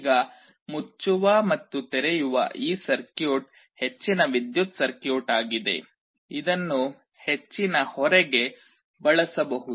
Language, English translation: Kannada, Now this circuit which closes and opens is a high power circuit, this can be used to drive a high load